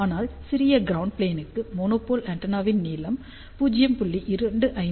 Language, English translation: Tamil, But for smaller ground plane length of the monopole antenna should be taken as larger than 0